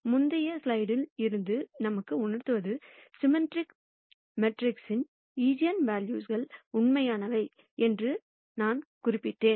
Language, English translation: Tamil, And we know from the previous slide, I had mentioned that the eigenvalues of symmetric matrices are real, if the symmetric matrix also takes this form or this form